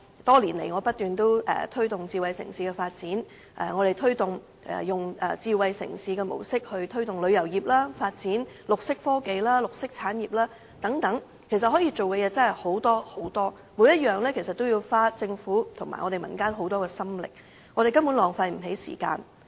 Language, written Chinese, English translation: Cantonese, 多年來，我不斷推動智慧城市的發展，並以智慧城市的模式來推動旅遊業，發展綠色科技、綠色產業等，可以做的事情真的很多，每項都要花政府及民間很多心力，我們根本浪費不起時間。, For many years I have been promoting the development of smart city and through which we can develop tourism green technology and green industries etc . There are many tasks to be undertaken and each task requires a lot of effort from the Government and the community . We simply cannot afford to waste time